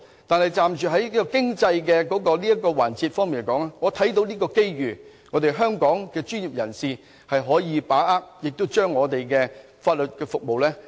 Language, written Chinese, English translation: Cantonese, 但從經濟環節來說，我看到香港的專業人士可以把握這個機遇延展我們的法律服務。, But on the economic front I think legal professionals in Hong Kong can capitalize on this opportunity to extend our legal services